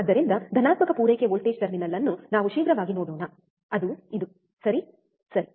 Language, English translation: Kannada, So, let us quickly see the positive supply voltage terminal, that is this one, right